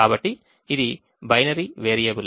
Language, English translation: Telugu, so it is a binary variable